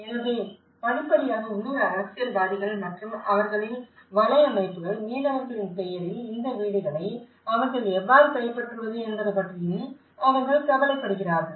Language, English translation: Tamil, So, in gradual process, they also have worried about how the local politicians and their networks, how they can grab these houses on the name of fishermanís that is also one of the threat which even fishermen feel about